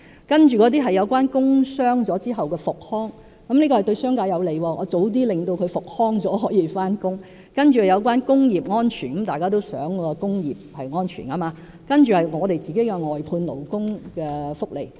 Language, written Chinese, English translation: Cantonese, 接着是工傷後的復康服務，這是對商界有利的，僱員及早復康便可以上班；另外是工業安全方面，大家也希望工業是安全的；還有政府外判勞工的福利。, Then there is the strengthening of rehabilitation services for injured workers which is beneficial to the business sector as employees can resume duty early if they can recover early . Another aspect is industrial safety which is something Members all wish to see; and then there are benefits for employees engaged for services outsourced by the Government